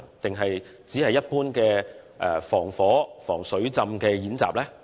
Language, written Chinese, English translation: Cantonese, 抑或只是一般的防火、防水浸演習？, Or are such drills only ordinary fire drills and flood drills?